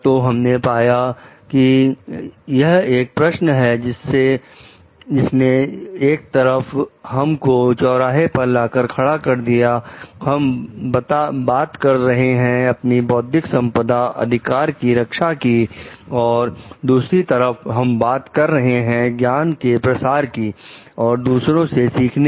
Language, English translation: Hindi, So, these like maybe, we find like this is a question which puts us as a crossroad on the one side; we are talking of protecting our intellectual property rights and the other side we are talking of knowledge dissemination and learning from others